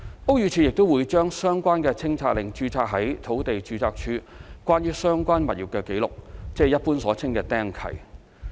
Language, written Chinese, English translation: Cantonese, 屋宇署亦會將相關清拆令註冊於土地註冊處關於相關物業的紀錄，即一般所稱的"釘契"。, BD will also register the removal order against the record of the premises concerned at the Land Registry LR commonly known as imposing an encumbrance